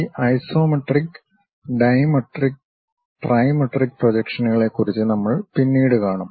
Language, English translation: Malayalam, We will see more about these isometric, dimetric, trimetric projections later